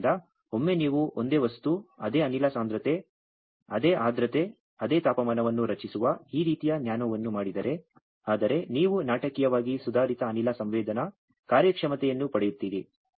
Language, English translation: Kannada, So, once you do this kind of nano structuring the same material, same gas concentration, same humidity, same temperature, but you get dramatically improved gas sensing performance